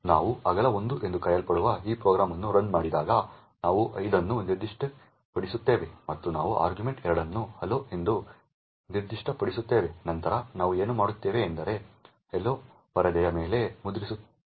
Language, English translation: Kannada, When we run this program which is known as width1, we specify 5 and we specify argv2 as hello then what we did is that hello gets printed on the screen